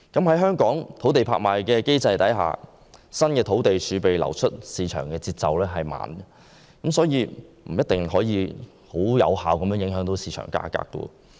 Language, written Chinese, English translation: Cantonese, 在香港的土地拍賣機制下，新土地儲備流出市場的節奏緩慢，所以不一定能有效影響市場價格。, Under the land auction mechanism in Hong Kong new sites are released into the market at a slow pace and hence they may not be able to affect market price effectively